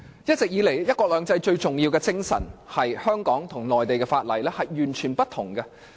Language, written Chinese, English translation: Cantonese, 一直以來，"一國兩制"最重要的精神是香港和內地各有不同的法律。, All along the most important essence of one country two systems is that Hong Kong and the Mainland have different laws